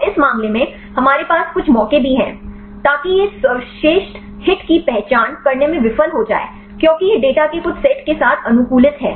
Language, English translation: Hindi, So, in this case we also have some chances; so that it may fail to identify the best hit also because it is optimized with some set of data